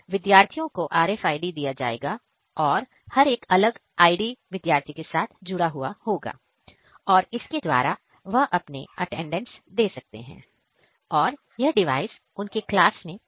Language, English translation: Hindi, So, each RFID their unique ID will be associated to one student and using this they will mark attendance and this device will be placed in the class